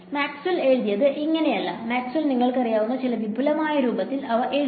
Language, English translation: Malayalam, This is not how Maxwell wrote, Maxwell wrote them in some slightly you know elaborate form